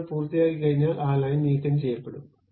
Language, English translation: Malayalam, Once you are done, that line will be removed